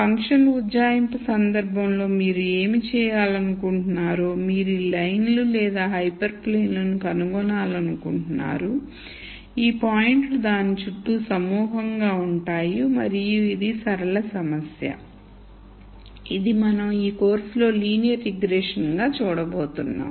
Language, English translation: Telugu, In the function approximation case what you want to do is, you want to nd a line or a hyper plane such that these points are clustered around that and this is a linear problem which is what we are going to see in this course as linear regression